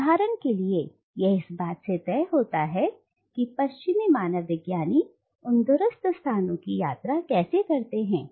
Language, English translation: Hindi, This, for instance, is done by leaving away details about how the Western anthropologist himself or herself travels to that distant location